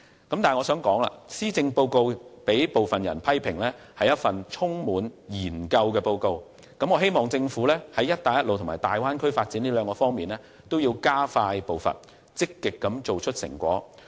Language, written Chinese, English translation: Cantonese, 不過，我想指出，施政報告被一些人批評為充滿研究的報告，所以我希望政府會在"一帶一路"和大灣區發展兩方面加快步伐，積極做出成果。, Notwithstanding that I wish to point out that the Policy Address has been criticized by some people as a report loaded with studies so I hope that the Government will quicken its pace to take forward the Belt and Road Initiative and the development of the Bay Area with a view to actively achieving results